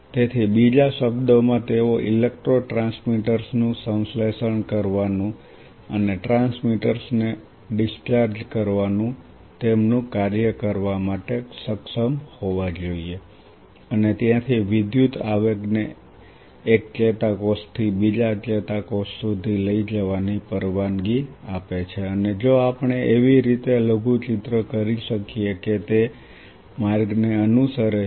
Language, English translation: Gujarati, So, in other word they should be able to do their job of synthesizing electro transmitters and discharging the transmitters and thereby allowing the electrical impulse to carry from one neuron to the next neuron and if we could miniaturize in such a way that it follows a path